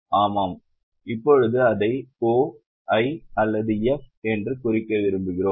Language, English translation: Tamil, Now we want to mark it as O, I or F